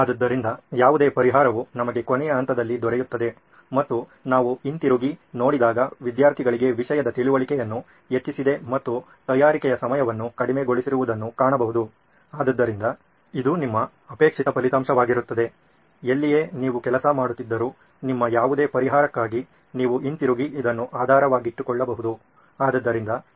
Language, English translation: Kannada, So any solution, you may come up with in the later stages, you have to come back and see, has it reduced the time of preparation, has it increased the understanding of the topic for the student, so that would be your desired result, that’s where you are working for that’s all the solution, any solution you come up with, you have to go back and refer to this